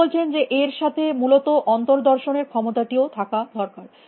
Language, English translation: Bengali, He is saying that in addition to that, you need this capability to introspect essentially